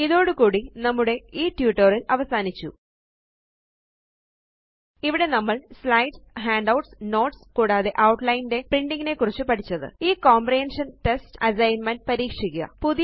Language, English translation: Malayalam, With this, we conclude this tutorial where we learnt about printing Slides, Handouts, Notes and, Outline Try this comprehension test assignment.Create a new presentation